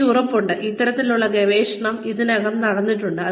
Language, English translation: Malayalam, I am sure, this kind of research, is already going on